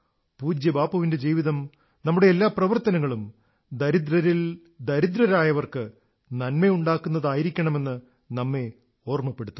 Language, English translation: Malayalam, Revered Bapu's life reminds us to ensure that all our actions should be such that it leads to the well being of the poor and deprived